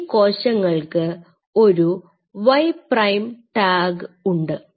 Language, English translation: Malayalam, So now, these cells will have a tag Y prime, now what I have to do